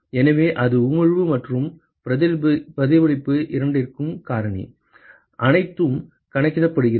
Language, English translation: Tamil, So, that accounts for both emission and reflection, everything is accounted